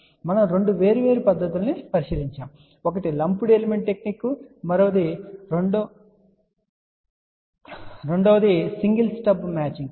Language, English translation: Telugu, So, we looked into two different techniques one was lumped element technique and the second one was single step matching